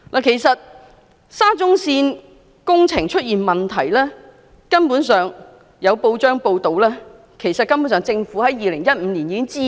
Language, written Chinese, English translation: Cantonese, 其實沙中線工程出現的問題，有報章報道指政府根本在2015年已知悉。, In fact it has been reported in the press that the problems arising in the construction of SCL were actually known to the Government in 2015